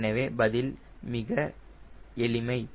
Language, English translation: Tamil, so the answer is simple